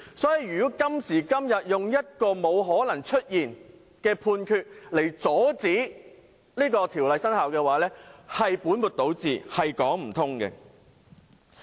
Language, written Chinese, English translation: Cantonese, 因此，如果今天以一個不存在的判決來阻止該條例生效，是本末倒置，是說不通的。, Therefore if we used a non - existent ruling to preclude the enactment of the Bill today we would be putting the cart before the horse and there can be no justification for that